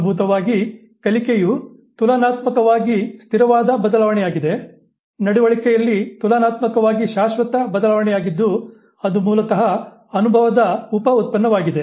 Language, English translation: Kannada, Learning basically is a relatively stable change, relatively permanent change in the behavior, which is basically a byproduct of experience